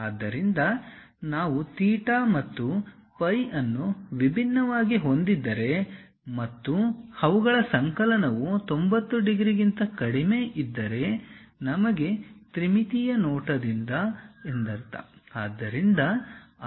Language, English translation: Kannada, So, if we are having theta and phi different and their summation is less than 90 degrees, we have trimetric view